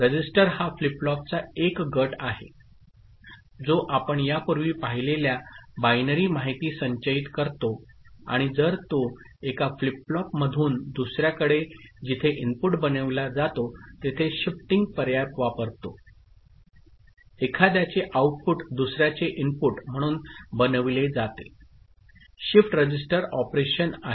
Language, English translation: Marathi, Register as I said is a group of flip flops which store binary information that you have seen before and if it uses shifting option from one flip flop to another where input of one is made output of one is made as input of the other; so that is shift register operation ok